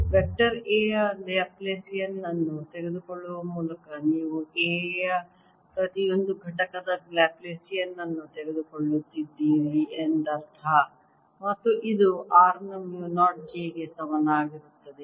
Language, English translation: Kannada, by taking laplacian of vector a one means that you are taking laplacian of each component of a and this is equal to mu naught j of r